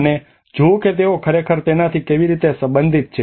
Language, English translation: Gujarati, And see how they are actually relating to it